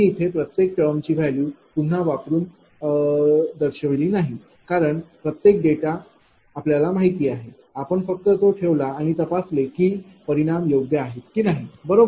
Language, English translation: Marathi, I did not put and showed it again because, every data is known just you put it and see that whether results are correct or not, right